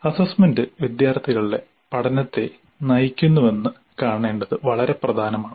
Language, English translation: Malayalam, And it's very important to see that assessment drives student learning